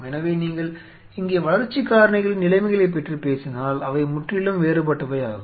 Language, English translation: Tamil, So, the conditions out here if you talk about the growth factors here they are totally different these 2 conditions are very unequal